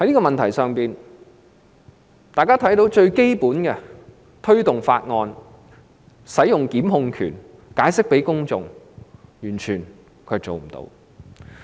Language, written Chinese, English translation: Cantonese, 大家都看到，她完全未能推動法案、行使檢控權或向公眾解釋。, She has obviously failed to promote bills exercise the power to prosecute or explain matters to the public